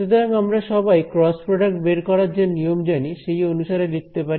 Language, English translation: Bengali, So, we can write we all know the rules of cross product